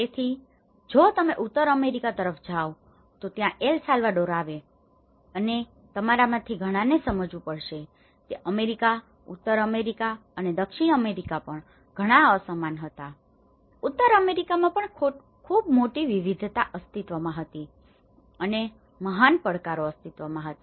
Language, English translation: Gujarati, So, its almost if you look from the North America and so, this is where El Salvador comes and many of you have to understand that the America, the North America and the South America was very diverse even within North America there was very great diversity exist and great challenges exist